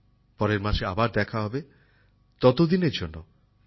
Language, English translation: Bengali, We'll meet next month, till then I take leave of you